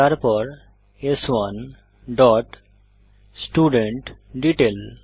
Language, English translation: Bengali, So s3 dot studentDetail